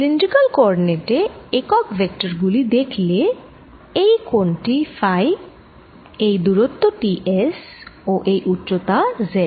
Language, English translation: Bengali, if i look at the unit vectors in cylindrical coordinates, this angle is phi, this distance is s and this height is z